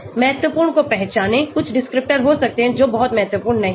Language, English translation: Hindi, Identify the important ones, there may be some descriptors which may not be very important